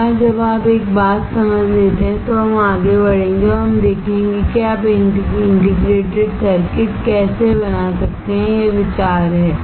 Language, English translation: Hindi, Once you understand one thing, then we will move forward and we will see how you can fabricate a integrated circuit, that is the idea